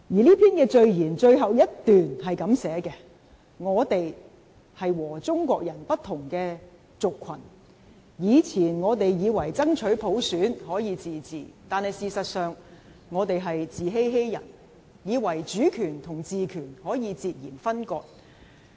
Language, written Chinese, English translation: Cantonese, 這篇序言最後一段是這樣寫，"我們是和中國人不同的族群，以前我們以為爭取普選可以自治，但事實上，我們在自欺欺人，以為主權與治權可以截然分割。, The last paragraph of the preface reads to this effect We are a different ethnic group from the Chinese . We used to think that autonomy could be achieved through universal suffrage but actually we were just deceiving ourselves thinking sovereignty and the power of governance could be separated